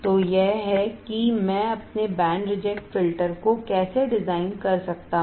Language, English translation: Hindi, So, this is how I can design my band reject filter